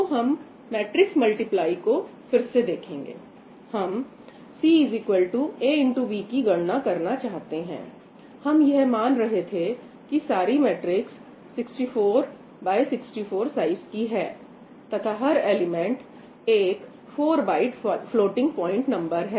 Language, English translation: Hindi, we wanted to compute C is equal to A times B; we are assuming that all the matrices are of size 64 cross 64, and each element is a 4 byte floating point number, right